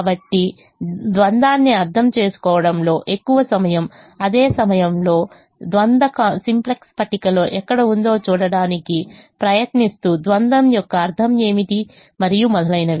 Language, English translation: Telugu, we have spend so much time in studying, in understanding the dual, at the same time trying to see where the duel is in a simplex table, what is the meaning of the dual, and so on